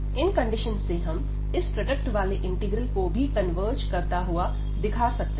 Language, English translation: Hindi, And that those conditions we have that this integral the product here converges